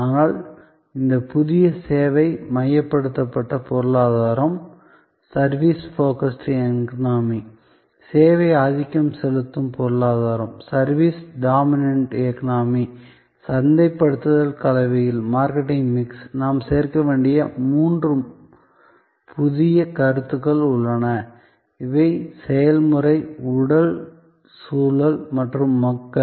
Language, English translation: Tamil, But, in this new service focused economy, service dominated economy, there are three new concepts that we have to add to the marketing mix and these are process, physical environment and people